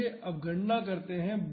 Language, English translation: Hindi, Now, let us calculate